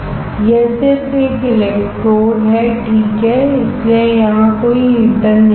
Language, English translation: Hindi, This is just an electrode alright; there is no heater here that is why